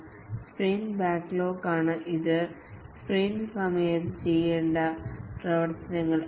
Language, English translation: Malayalam, The sprint backlog, this is the activities to be done during the sprint